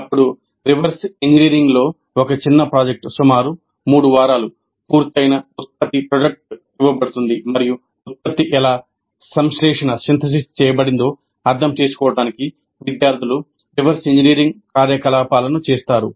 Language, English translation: Telugu, Then a small project in reverse engineering, a completed product is given and the students do the reverse engineering activities in order to understand how the product was synthesized